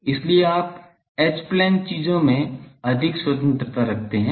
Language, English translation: Hindi, So, you have more liberty in the H plane things ok